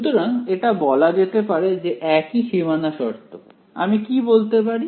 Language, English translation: Bengali, So, we can say this such that same boundary conditions what can I say